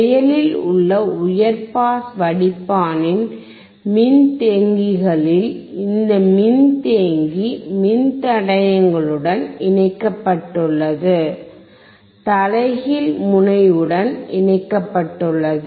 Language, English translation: Tamil, At the capacitors of the active high pass filter, this capacitor is connected to the resistors connected to the inverting terminal